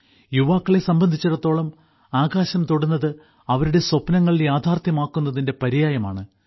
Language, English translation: Malayalam, For the youth, touching the sky is synonymous with making dreams come true